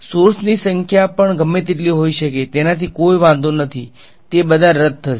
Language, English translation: Gujarati, Even the number of sources can be as many it does not matter they all cancel off